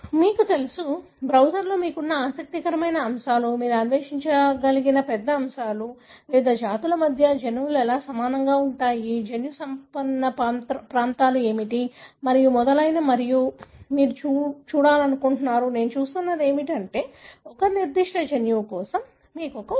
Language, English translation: Telugu, Lot of, you know, interesting aspects that you have in the browser, a large number of aspects that you want to explore, you want to look into the how genomes are similar between different species, what are the gene rich regions and so on and what I am going is, giving you is an example for a particular gene